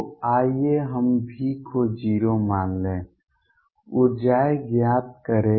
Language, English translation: Hindi, So, let us take V to be 0, find the energies